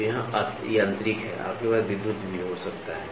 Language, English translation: Hindi, So, here is mechanical, you can also have electrical